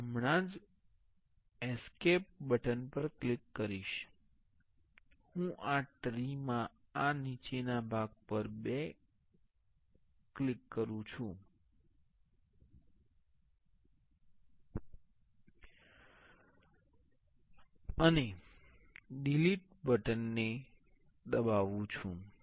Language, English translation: Gujarati, I just click escape, and I click this bottom part two in this tree and press delete